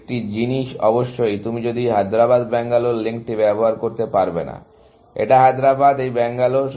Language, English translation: Bengali, So, one thing is, of course, that you cannot use this Hyderabad Bangalore link, which is; this is Hyderabad; this is Bangalore